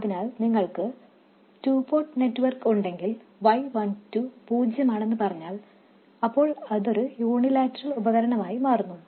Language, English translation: Malayalam, So if you have a two port network, if let's say Y12 is 0 that becomes a unilateral device